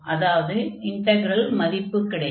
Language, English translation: Tamil, So, what is this integral value here